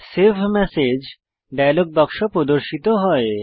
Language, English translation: Bengali, The Save Message As dialog box appears